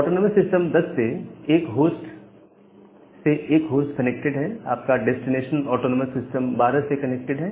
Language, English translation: Hindi, Now, one host is connected to autonomous system 10 your destination is connected to autonomous system 12